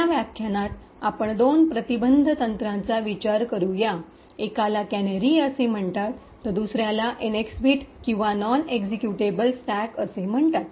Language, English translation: Marathi, In this lecture we will look at two prevention techniques, one is called canaries while the other one is called the NX bit or the non executable stack